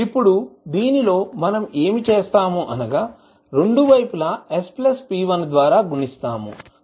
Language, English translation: Telugu, Now, in this, what we will do, we will multiply both sides by s plus p1